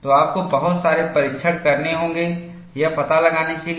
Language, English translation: Hindi, So, you have to do a lot of tests, to find out